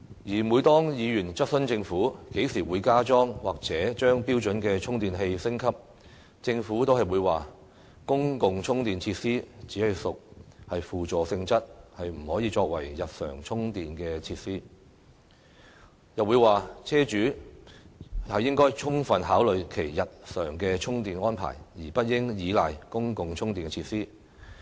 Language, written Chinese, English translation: Cantonese, 而每當議員質詢政府，何時會加裝或將標準充電器升級，政府就會說"公共充電設施只屬輔助性質，不可以作為日常充電設施"，又說"車主應該充分考慮其日常充電安排，而不應依賴公共充電設施。, When Member asked the Government when it will install or upgrade the standard chargers it said public charging facilities are merely supplementary in nature They do not serve as daily charging facilities and Potential buyers of e - PCs [electric private cars] should fully consider the daily charging arrangements required and should not rely on public charging facilities for daily charging of their e - PCs